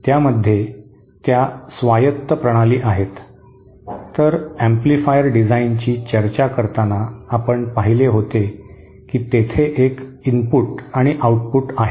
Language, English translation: Marathi, In that they are autonomous systems, whereas the amplifiers while discussing amplifier design, we had seen there is an input and output